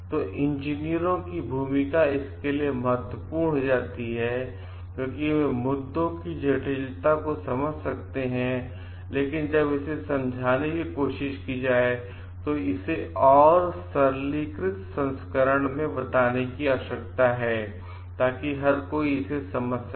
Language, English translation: Hindi, So, the role of the engineers becomes important for that, because they can understand the complexity of the issues, but while try to explain they need to like make it more a simplified version so that everybody can understand it